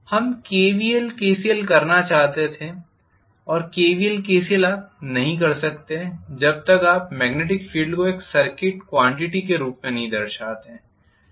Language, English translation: Hindi, We wanted to do KVL, KCL and KVL, KCL you cannot do you unless you represent the magnetic field also as a circuit quantity